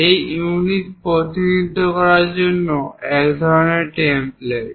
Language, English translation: Bengali, This is a one kind of template to represent units